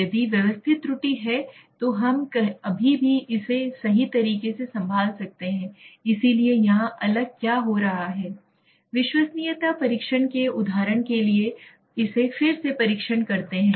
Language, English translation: Hindi, If there is systematic error we can still handle it right, so what is happening here the different types of reliability testing for example test it, again test it